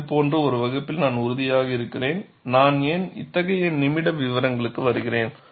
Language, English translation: Tamil, See, I am sure in a class like this, why I get into such minute details